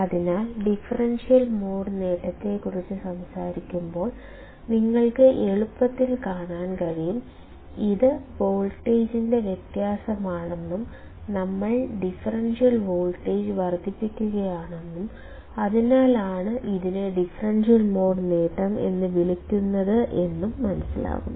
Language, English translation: Malayalam, So, when you talk about differential mode gain; you can easily see, it is a difference of voltage and that we are amplifying the differential voltage and that is why it is called differential mode gain